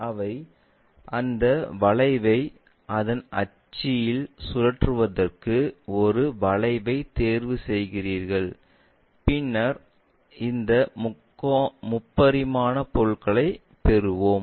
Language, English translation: Tamil, So, you pick a curve rotate that curve around an axis, then we will get this three dimensional objects